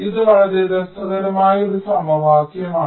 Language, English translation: Malayalam, ok, this is a very interesting equation